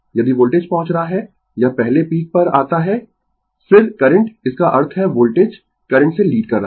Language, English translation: Hindi, If voltage is reaching it is peak of before then the current; that means, voltage is leading the current right